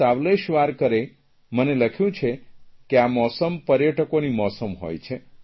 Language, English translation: Gujarati, Savleshwarkar has written to me from Pune that this season is a tourist season